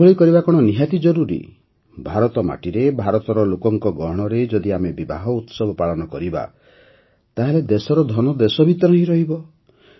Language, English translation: Odia, If we celebrate the festivities of marriages on Indian soil, amid the people of India, the country's money will remain in the country